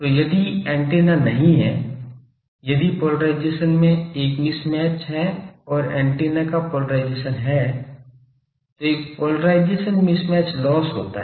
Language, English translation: Hindi, So, if the antenna is not; if there is a mismatch in the polarization of the way coming and polarization of the antenna then there is a polarization mismatch loss